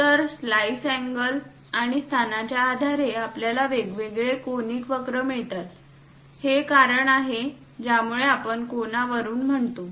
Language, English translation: Marathi, So, based on the slice angle and location, we get different conic curves; that is a reason we call, from the cone